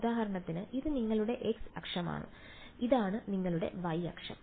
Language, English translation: Malayalam, So, for example, this is your x axis and this is your y axis alright